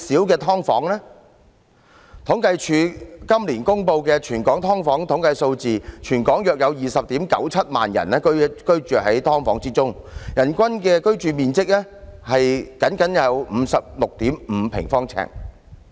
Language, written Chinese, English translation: Cantonese, 根據政府統計處今年公布的全港"劏房"統計數字，全港約有 209,700 人居於"劏房"，人均居住面積僅得 56.5 平方呎。, According to the statistics on subdivided units in Hong Kong released by the Census and Statistics Department this year there are about 209 700 people living in subdivided units across the territory . The average living space per person is only 56.5 sq ft